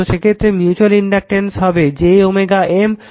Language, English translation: Bengali, So, mutual inductance will be j omega M and this is j omega L 1 j omega L 2 right